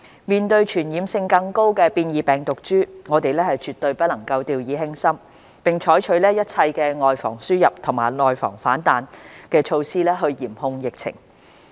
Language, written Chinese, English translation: Cantonese, 面對傳染性更高的變異病毒株，我們絕不能掉以輕心，並須採取一切"外防輸入、內防反彈"的措施嚴控疫情。, Faced with the risk posed by the more contagious mutant strains we must not let down our guard and must take all necessary measures to guard against the importation of cases and the resurgence of local infections in order to control the epidemic